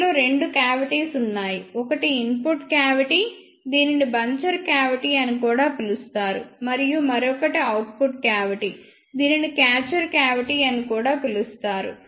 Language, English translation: Telugu, In this there are two cavities; one is input cavity which is also called as buncher cavity and another one is output cavity which is also called as catcher cavity